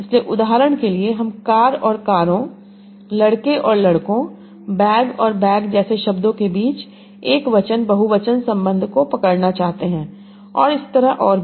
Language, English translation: Hindi, So, for example, I want to capture the singular plural relationship between words, like car and cars, boy and boys, bag and backs and backs and so